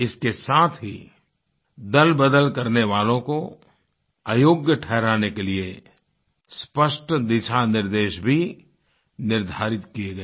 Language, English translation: Hindi, Besides, clear guidelines were defined to disqualify the defector